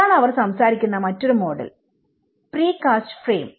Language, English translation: Malayalam, This is one another model where they talk about you know the pre cast frames you know